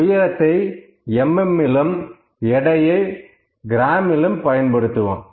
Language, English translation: Tamil, So, I can use a height may be is in mm weight is in grams